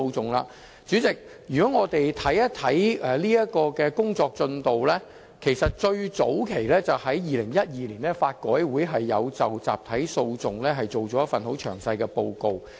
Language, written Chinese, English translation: Cantonese, 代理主席，這方面的最早期工作其實是在2012年，法律改革委員會就集體訴訟作出了一份內容很詳細的報告。, Deputy President the earliest effort in this respect is the Law Reform Commissions very exhaustive report on class actions in 2012